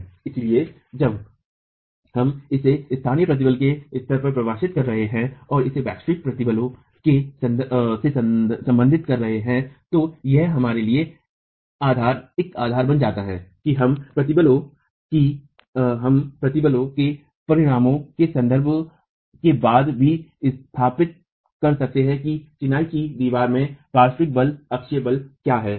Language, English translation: Hindi, So, while we are defining this at the level of local stresses and relating it to the global stresses, this becomes the basis for us even later to establish in terms of stress resultants what is the lateral force axial force interaction in a masonry wall